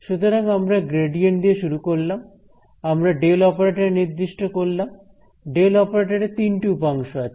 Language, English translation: Bengali, So, we started with the gradient, we defined a del operator, the del operator is something that stands by itself you can see it has three components